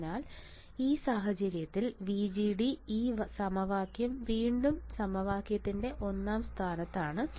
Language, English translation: Malayalam, So, in this case VGD this equation is again equation number one right this one use this equation